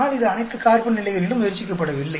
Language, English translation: Tamil, But it is not tried out at all carbon levels